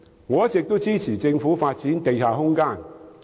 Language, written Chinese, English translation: Cantonese, 我一直支持政府發展地下空間。, I have all along supported the Governments development of underground space